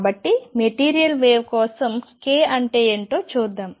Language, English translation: Telugu, So, let us see what is k for material wave